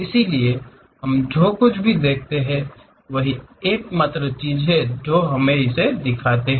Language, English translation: Hindi, So, whatever we see that is the only thing what we show it